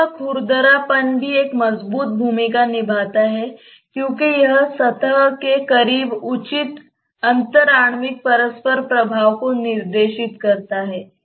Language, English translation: Hindi, Surface roughness also has a strong role to play because that dictates the proper intermolecular interaction close to the surface